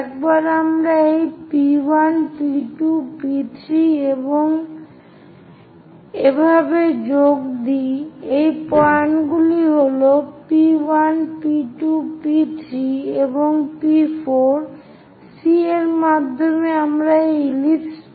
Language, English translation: Bengali, Once we join this P 1, P 2, P 3, and so on, these are the points P 1, P 2, P 3, and P 4 via C; we will get this ellipse